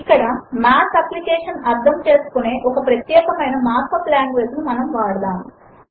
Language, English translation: Telugu, Here we will use a special mark up language that the Math application can understand